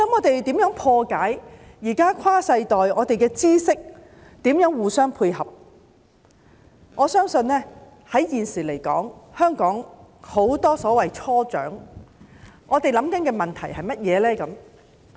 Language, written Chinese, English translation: Cantonese, 除了如何解決跨世代互相配合、分享知識的問題之外，現時香港很多所謂"初長"正面對甚麼問題呢？, Apart from solving the problems of mutual cooperation and sharing of knowledge across generations what are the problems faced by many so - called young elderly in Hong Kong presently?